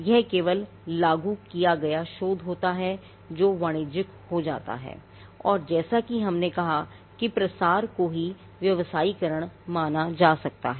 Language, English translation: Hindi, Normally basic research is not commercialized it is only the applied research that gets commercialized and as we said dissemination itself can be considered as commercialization